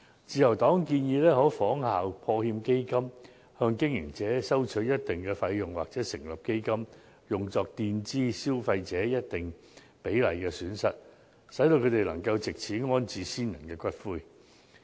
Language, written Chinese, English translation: Cantonese, 自由黨建議，政府可以仿效破產欠薪保障基金，向經營者收取一定費用成立基金，墊支消費者需支付費用的一定比例，使他們能夠安置先人的骨灰。, The Liberal Party suggests that the Government should set up a fund from levies collected from operators as in the case of the Protection of Wages on Insolvency Fund . Money from the fund can be used to pay a certain percentage of costs payable by consumers to relocate their ancestors ashes